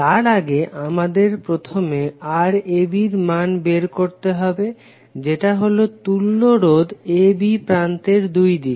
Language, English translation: Bengali, Now before that we have to first find out the value of Rab, that is equivalent resistance across terminal AB